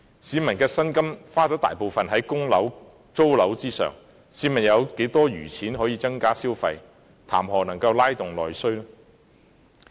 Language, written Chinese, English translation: Cantonese, 市民的薪金大部分用於供樓及租樓，試問有多少餘錢可增加消費，談何"拉動內需"？, A large part of the peoples wages has to be spent on mortgage repayment and rent . How much spare money do they have to afford more spending and what is the point of talking about stimulating internal demand?